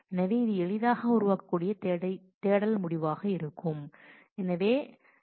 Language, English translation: Tamil, So, that will be the search result that can be easily produced